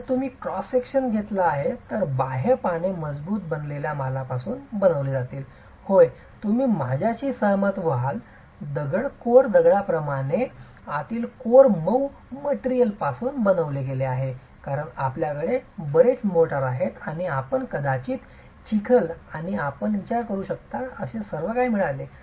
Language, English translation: Marathi, So, if you take this cross section, the outer leaves are made out of stronger, stiffer material, yes, you would agree with me like stone, coarse stone, whereas the inner core is made out of softer material because you have a lot of mortar and you have got probably mud and everything that you can think of